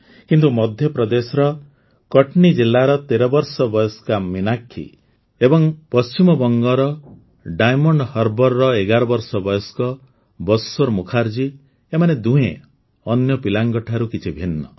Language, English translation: Odia, You know how much kids love piggy banks, but 13yearold Meenakshi from Katni district of MP and 11yearold Bashwar Mukherjee from Diamond Harbor in West Bengal are both different kids